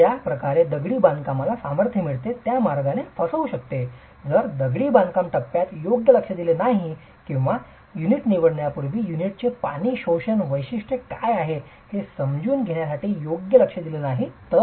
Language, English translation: Marathi, It can foul the way in which the masonry gains strength if due attention is not given during the construction phase or due attention is not given to understand what is the water absorption characteristic of the unit before even selecting the unit